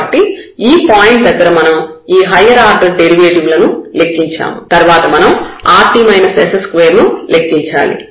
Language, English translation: Telugu, So, this point we have computed all these higher order derivatives and then we have to compute rt minus s square